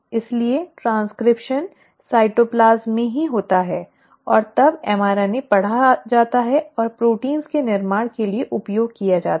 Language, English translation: Hindi, So the transcription happens in the cytoplasm itself and then the mRNA is read and is used for formation of proteins